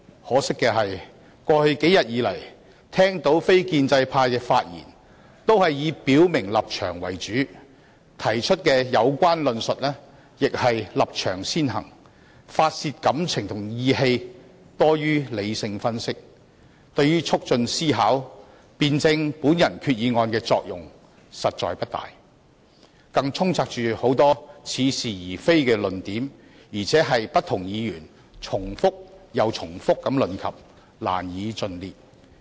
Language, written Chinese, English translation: Cantonese, 可惜，過去數天，我聽到非建制派的發言均以表明立場為主，提出的有關論述亦是立場先行，發泄感情和意氣多於理性分析，對於促進思考及辯證我的擬議決議案作用實在不大，更充斥着許多似是而非的論點，不斷被不同議員重複提述，難以盡列。, Regrettably the speeches of non - establishment Members which I listened to during the past few days were essentially declarations of stances . They put their stances first when expounding their views seeking more to vent their feelings and grievances than to make rational analyses . Their speeches were not really conducive to the consideration and dialectical discussion of my proposed resolution and were even riddled with specious arguments